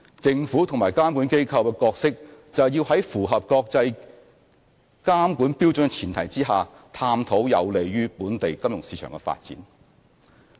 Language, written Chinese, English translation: Cantonese, 政府及監管機構的角色，就是要在符合國際監管標準的前提下，探討有利於本地金融市場的發展。, The Government and regulatory bodies should take up the role of exploring development directions that are conducive to the local financial market while striving to comply with the international regulatory standards